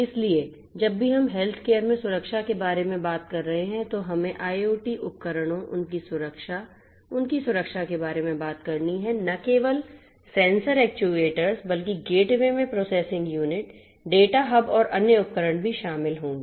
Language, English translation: Hindi, So, whenever we are talking about security in healthcare IoT we have to talk about the device devices their security their protection devices would include not only the sensors actuators and so on but also in the gateways the processing units, the data hubs and also the cloud to where most of this data are stored